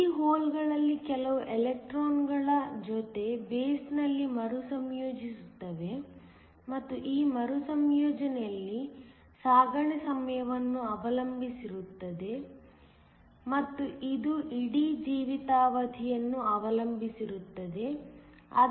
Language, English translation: Kannada, Some of these holes will recombine in the base along with the electrons, and in this recombination depends upon the transit time and it also depends upon the whole life time